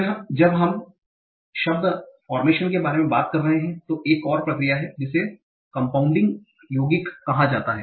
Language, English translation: Hindi, Then while we are talking about word formation, there is another process called compounding